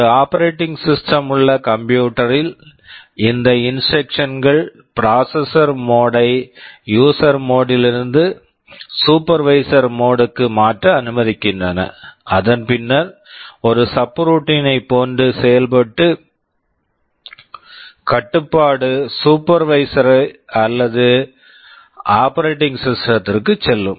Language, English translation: Tamil, Well in a computer where there is an operating system, these instructions allow the processor mode to be changed from user mode to supervisor mode and then just like a subroutine call control will jump to the supervisor or the operating system